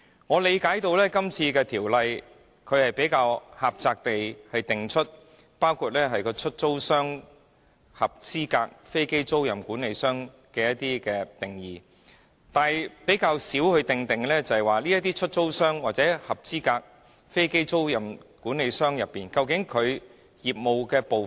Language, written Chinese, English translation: Cantonese, 我理解今次《條例草案》只狹窄地為包括"出租商"及"合資格飛機租賃管理商"提供定義，但較少就這些出租商或合資格飛機租賃管理商的業務細節作出界定。, As I understand it the Bill adopts a rather narrow approach as it only seeks to define lessor and qualifying aircraft leasing manager . It makes very little effort to define matters relating to the detailed business operation of lessors or qualifying aircraft leasing managers